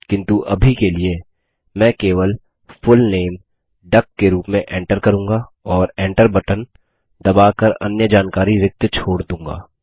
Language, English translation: Hindi, But for the time being, I will enter only the Full Name as duck and leave the rest of the details blank by pressing the Enter key